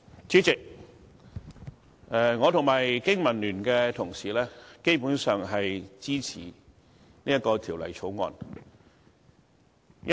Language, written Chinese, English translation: Cantonese, 主席，我和經民聯的同事，基本上也支持《2017年應課稅品條例草案》。, Chairman my colleagues from the Business and Professionals Alliance for Hong Kong BPA and I support in principle the Dutiable Commodities Amendment Bill 2017 the Bill